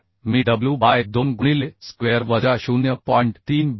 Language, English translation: Marathi, 3 so I can consider w by 2 into a square minus 0